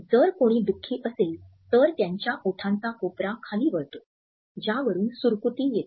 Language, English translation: Marathi, If someone is sad the corner of their lips will curl down, which is where we get the frown from